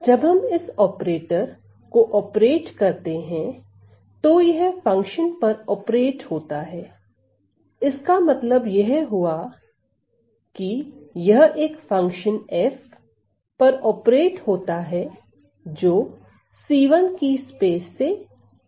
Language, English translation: Hindi, So, when we operate this operator, it is operated on a function, so which means it is operated on a function f, which is coming from which is coming from the space of c 1